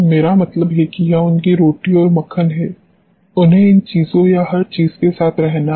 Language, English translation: Hindi, I mean this is their bread and butter they have to live with these things or everything